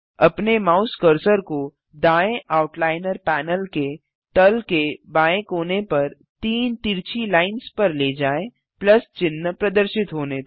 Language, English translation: Hindi, Move your mouse cursor to the hatched lines at the bottom left corner of the right Outliner panel till the Plus sign appears